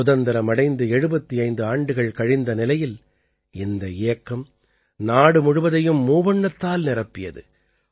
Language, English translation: Tamil, In this campaign of 75 years of independence, the whole country assumed the hues of the tricolor